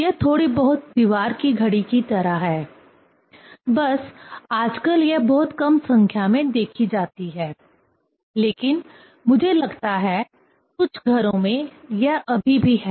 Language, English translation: Hindi, It is something like wall watch; just nowadays it is seen very less in number, but I think, in some houses, it is still there